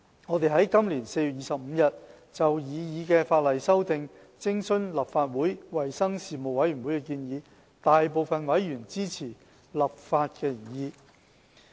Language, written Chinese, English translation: Cantonese, 我們在今年4月25日就擬議的法例修訂，徵詢立法會衞生事務委員會的意見，大部分委員均支持立法的原意。, On 25 April this year we consulted the Legislative Council Panel on Health Services with regard to the proposed legislative amendments and gained support of the legislative intent from the majority of members